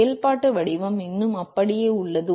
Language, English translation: Tamil, The functional form still remains the same